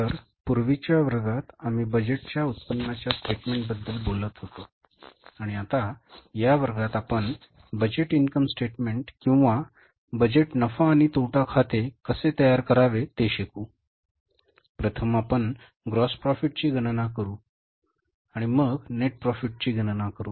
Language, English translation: Marathi, So, in the previous class we were talking about the budgeted income statement and in this class now we will learn how to prepare the budgeted income statement or the budgeted profit and loss account